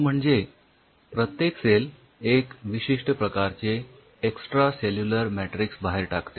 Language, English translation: Marathi, every cell [vocalized noise] secretes an unique extracellular matrix